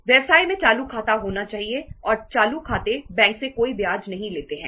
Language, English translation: Hindi, Businesses are supposed to have current accounts and current accounts donít earn any interest from the bank